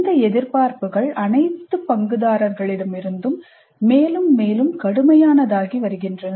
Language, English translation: Tamil, The expectations from all the stakeholders are changing very rapidly